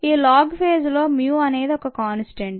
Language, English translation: Telugu, in the log phase mu is a constant